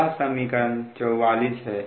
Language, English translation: Hindi, this is equation forty four